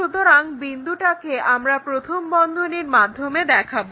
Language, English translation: Bengali, So, that is the reason we show it in parenthesis